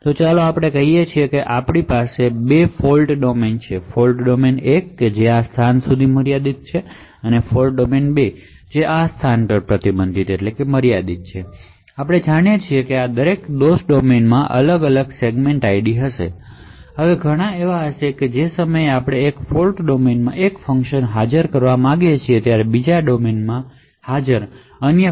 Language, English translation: Gujarati, So let us say that we have two fault domains, fault domain 1 which is restricted to these locations and fault domain 2 which is restricted to these locations and as we know each of these fault domains would have different segment IDs, now there would be many times where we would want one function present in one fault domain to invoke another function present in another fault domain